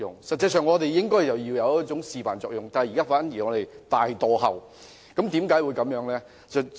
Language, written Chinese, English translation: Cantonese, 實際上，我們應該起示範作用，但現在反而大落後，為何會這樣呢？, Instead of setting an example we are now falling behind seriously . Why would it turn out like this?